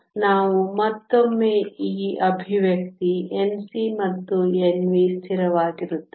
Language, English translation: Kannada, So, we will once again use this expression N c and N v are constant